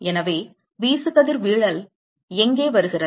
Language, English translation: Tamil, So, where is the irradiation coming